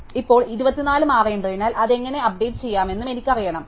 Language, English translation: Malayalam, Now, since 24 must change, I must know also how to update it